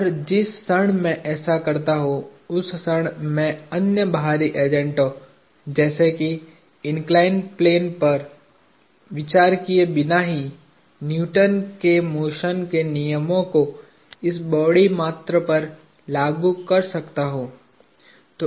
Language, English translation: Hindi, And the moment I do that I can apply Newton’s laws of motion to this body alone without needing to consider other external agent such as the inclined plane itself